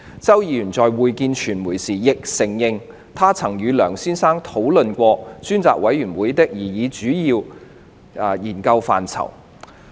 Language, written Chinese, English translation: Cantonese, 周議員在會見傳媒時，亦承認他曾與梁先生討論專責委員會的擬議主要研究範疇。, When Mr CHOW separately met with the media he also admitted that he had discussed the proposed major areas of study of the Select Committee with Mr LEUNG